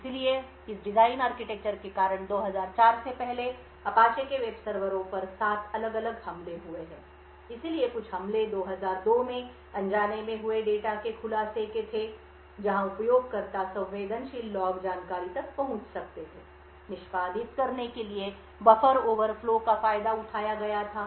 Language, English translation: Hindi, So due to this design architecture there have been seven different attacks on the Apache’s web servers prior to 2004, so some of the attacks were unintended data disclosure in 2002 where users could get accessed to sensitive log information, buffer overflows were exploited in order to execute remote code, denial of service attacks were done, another scripting attacks were also on around the same time